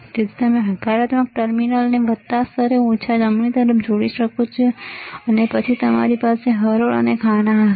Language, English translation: Gujarati, So, you can connect the positive terminal to plus ground to minus right, and then you have rows and columns